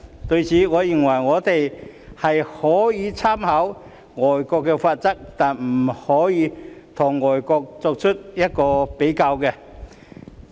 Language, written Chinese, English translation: Cantonese, 對此，我認為我們可以參考外國的罰則，但不可以與外國比較。, In this regard I think we can draw reference from the penalties of foreign countries but not make comparisons with them